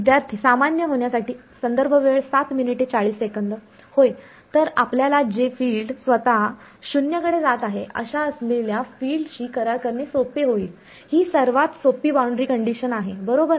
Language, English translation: Marathi, Yeah; so, we will it is simpler to do deal with field which is itself going to 0 that is the simplest boundary condition right